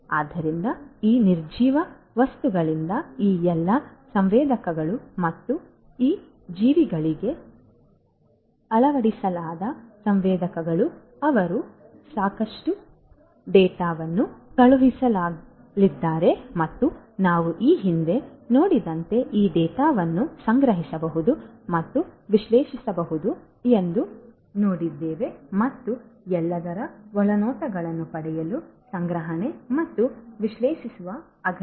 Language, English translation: Kannada, So, these all these sensors from these nonliving things plus the sensors fitted to these living things they are going to send lot of data and as we have seen previously this data can be collected, stored and analyzed, storage plus analyzed in order to gain insights about what is going on right